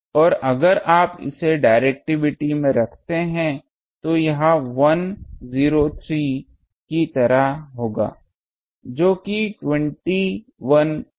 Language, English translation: Hindi, And if you put that in to the directivity it will be something like 103, which is 20